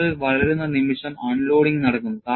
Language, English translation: Malayalam, The moment crack grows, unloading takes place